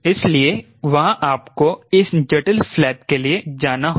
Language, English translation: Hindi, you have to go for all this complicated flaps right